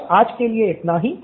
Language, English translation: Hindi, So, that’s it for today